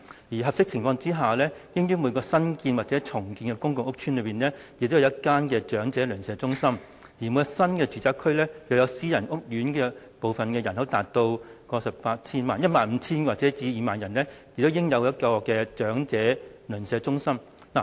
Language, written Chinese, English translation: Cantonese, 而在合適情況下，應於每個新建或重建的公共屋邨設有一間長者鄰舍中心；而每個新住宅區，若其私人屋苑部分的人口達15000至20000人，亦應設有一間長者鄰舍中心。, Where appropriate there should be one NEC in each new and redeveloped public rental housing PRH estate and one in private housing areas with a population of 15 000 to 20 000 in new residential areas